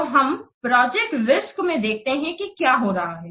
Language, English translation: Hindi, So let's see in the project risk what is happening